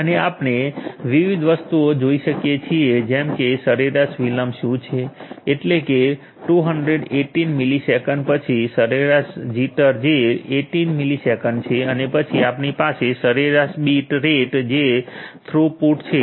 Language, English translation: Gujarati, And we can see different things like what is the average delay, this is the average delay that is 218 milliseconds, then average jitter which is 18 millisecond and then we have the average bit rate which is the throughput